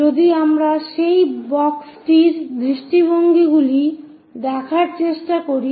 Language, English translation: Bengali, If we are trying to look at what are the views of that box